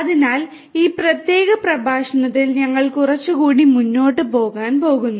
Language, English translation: Malayalam, So, here in this particular lecture, we are going to go little bit further